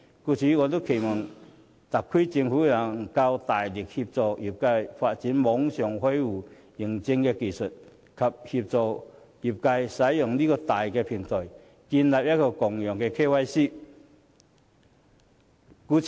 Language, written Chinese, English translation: Cantonese, 故此，我期望特區政府能夠大力協助業界發展網上開戶認證技術，以及協助業界建立共用的 KYC 平台。, Therefore I expect the SAR Government to strongly support the trade to develop online authentication technology and set up a Know - your - customer Utility for shared use